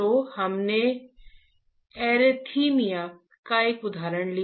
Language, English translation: Hindi, So, we took an example of arrhythmia